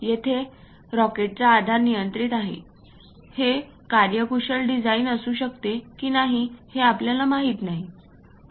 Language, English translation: Marathi, Here the rocket shape is arbitrary, whether this might be efficient design or not, we may not know